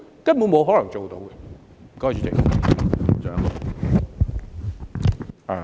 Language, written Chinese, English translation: Cantonese, 根本不可能做到的。, It is downright impossible to achieve them